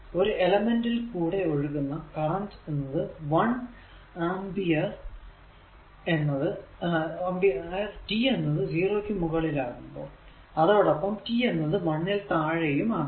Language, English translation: Malayalam, 5, the current flowing through an element is that i is equal to one ampere for t greater than 0 and t less than 1